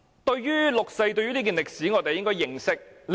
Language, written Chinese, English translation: Cantonese, 對於六四這段歷史，我們必須認識。, We must have some knowledge of history about 4 June